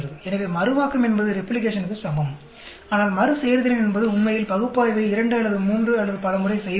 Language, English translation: Tamil, So, Reproducibility is same as Replication, but Repeatability is repeating the analysis twice or thrice and so on actually